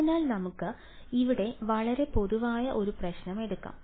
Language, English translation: Malayalam, So, let us take a very general problem over here